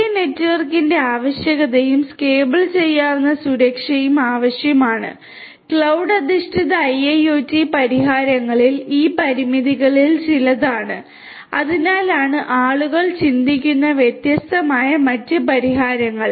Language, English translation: Malayalam, There is a requirement for the big network and need for scalable security, these are some of these limitations in cloud based IIoT solutions, that is why there are these different other solutions people are thinking of